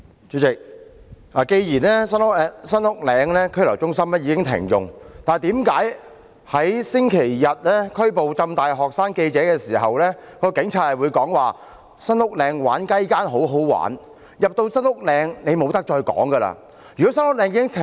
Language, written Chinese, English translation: Cantonese, 主席，既然新屋嶺拘留中心已經停用，為何一名警察在星期日拘捕香港浸會大學的學生記者時會說："新屋嶺玩'雞姦'很好玩，你進入新屋嶺後便不能再說話"。, President if the Police have stopped using SULHC why did a police officer say buggery in the Centre is fun and you can no longer speak up once you are in the Centre when he arrested a student reporter of the Hong Kong Baptist University on Sunday?